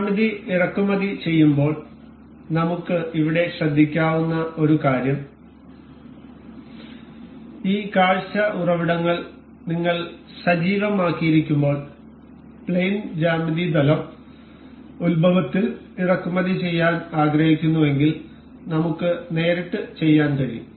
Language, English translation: Malayalam, One thing we can note here while importing the geometry while we have activated this view origins we can directly if we wish to import in the plane geometry plane origin we can directly import the part to have the plane origin